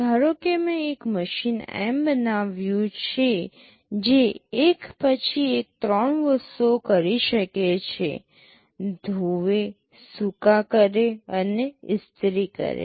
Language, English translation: Gujarati, Suppose I have built a machine M that can do three things one by one, wash, dry and iron